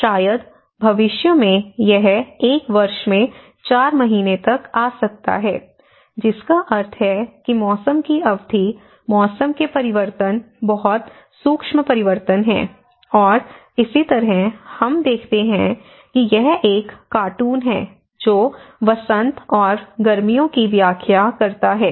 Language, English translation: Hindi, So, maybe in future it may come up to 4 months in a year so, which means that season duration, the season variances are very subtle changes are there, and similarly, we see that this is a cartoon explaining the spring and summer looks the same, and there is a fall on winter looks the same you know